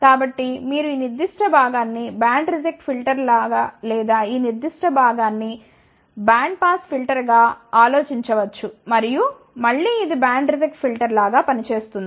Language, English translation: Telugu, So, you can think about this particular portion as a band reject filter or this particular portion as a band pass filter, and again it acts as a band reject filter